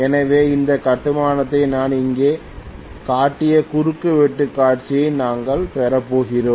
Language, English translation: Tamil, So we are going to have this construction the cross sectional view I have shown here